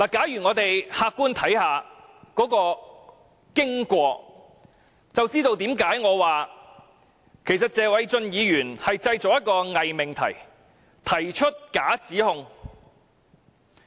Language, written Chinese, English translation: Cantonese, 如果我們可以客觀地看看當天的經過，便知道為何我說謝偉俊議員正製造一個偽命題，提出假指控。, If we can look at the course of events on that day objectively Members will know why I say Mr Paul TSE is making up a false proposition and false allegations